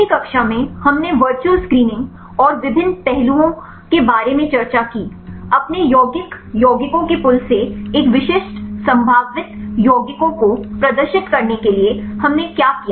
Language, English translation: Hindi, In the last class we discussed about virtual screening and various aspects, to screen a specific potential compounds from your pool of compounds rights what did we do